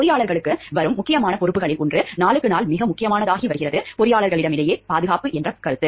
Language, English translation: Tamil, One of the important responsibilities which is coming up for the engineers and which is becoming important, very important day by day is the concept of safety amongst the engineers